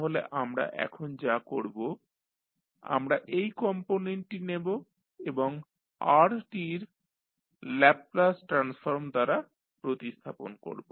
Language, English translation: Bengali, So, what we will do we will this particular component you can replace with the Laplace transform of Rt